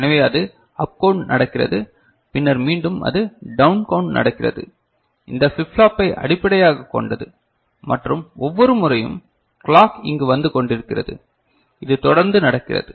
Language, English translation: Tamil, So, this is up count is happening and then again it is down count is happening based on this flip flop and every time the clock is coming over here and it is continuously happening